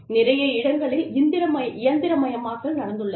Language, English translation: Tamil, A lot of mechanization, has taken place